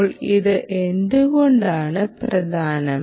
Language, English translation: Malayalam, ok, now, why is this important